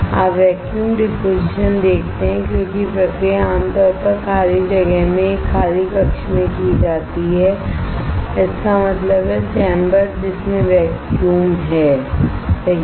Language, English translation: Hindi, You see vacuum deposition because the process is usually done is usually done in an evacuated chamber in an evacuated; that means, the chamber in which there is a vacuum right